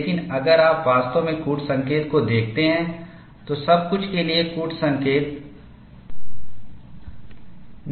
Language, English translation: Hindi, But if you really look at the code, for everything the code specifies